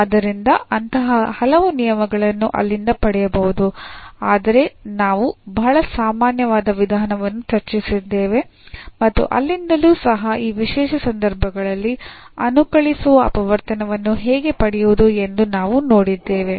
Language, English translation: Kannada, So, there are many more such rules can be derived from there, but what we have discussed a very general approach and from there also we have at least seen how to get the integrating factor in those special cases